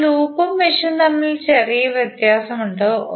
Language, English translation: Malayalam, Now, there is a little difference between loop and mesh